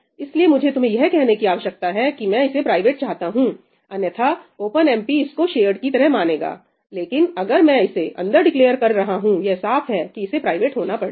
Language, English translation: Hindi, So, I need to tell you that I want this to be private, otherwise OpenMP will treat it as shared, right; but if I am declaring it inside, it is obvious that it has to be private